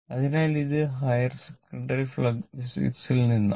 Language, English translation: Malayalam, So, this is from your higher secondary physics